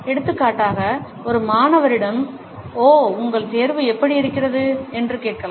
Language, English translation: Tamil, For example, we can ask a student ‘oh how is your examination’